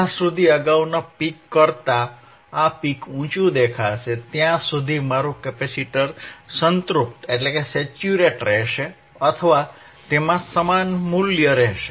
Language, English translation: Gujarati, uUntil a peak which is higher than the earlier peak will appear, my capacitor will remain saturated or it will have same voltage